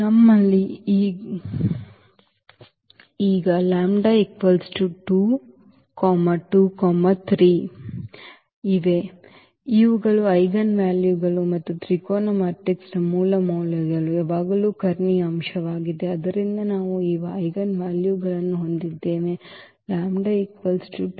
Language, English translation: Kannada, So, we have this 2 2 3 there these are the eigenvalues and the eigenvalues of a triangular matrix are always it is a diagonal element; so, we have these eigenvalues 2 2 3